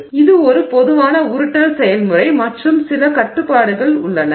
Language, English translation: Tamil, So, this is a typical rolling process and there are some restrictions